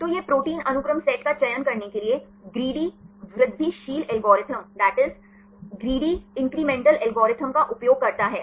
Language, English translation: Hindi, So, it uses the greedy incremental algorithm to select the protein sequence sets